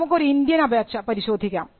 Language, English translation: Malayalam, Now, let us look at an Indian application